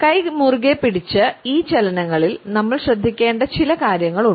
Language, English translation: Malayalam, In these hand clenched movement there are a couple of things which we have to be careful about